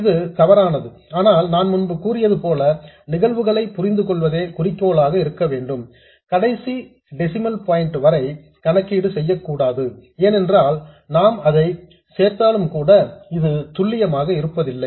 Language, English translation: Tamil, This is inaccurate, but again, like I said earlier, the goal is to understand the phenomena not to make the calculation to the last decimal point because even if you include this, this itself is not accurate